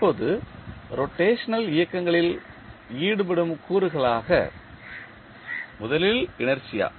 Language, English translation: Tamil, Now, the elements involved in the rotational motions are first inertia